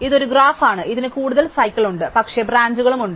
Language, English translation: Malayalam, So, it is a graph, it has a kind of no cycles, but many things branching out